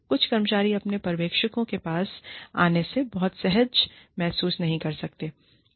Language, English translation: Hindi, Some employees, may not feel very comfortable, coming to their supervisors